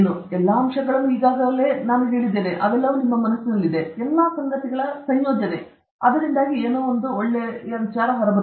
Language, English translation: Kannada, All the elements are already in your mind; this is the combination of all these things and something comes out